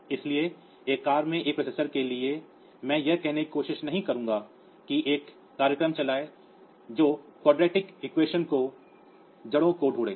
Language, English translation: Hindi, So, the on a car processor I will not try to say run a program which you will find the roots of a quadratic equation